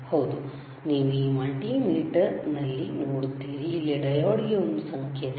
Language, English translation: Kannada, Yes, you see in this multimeter, there is a symbol for diode here